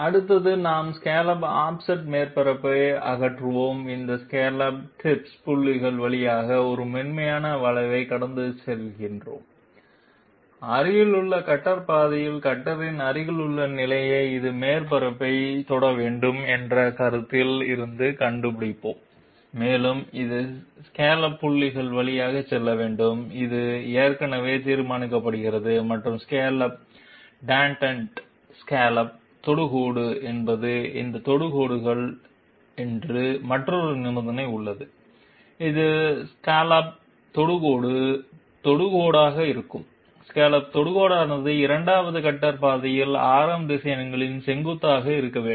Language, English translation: Tamil, Next we remove the scallop offset surface, we we pass a smooth curve through these scallop tips points, we find out the adjacent position of the cutter in the adjacent cutter path from the consideration that it has to touch the surface and it also has to pass through the scallop points which are already determined and there is another condition that is the scallop tangent scallop tangent means the those tangents, which are tangential to scallop, scallop tangent has to be perpendicular to the to the radius vectors of the swept sections of the second cutter path okay